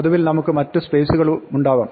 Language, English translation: Malayalam, Now, in general we may have other spaces